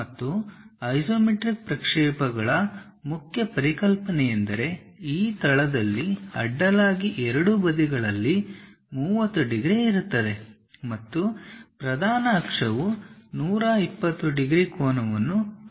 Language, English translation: Kannada, And the main concept of isometric projections is, with the horizontal one of these base will be at 30 degrees on both sides and the principal axis makes 120 degrees angle with each other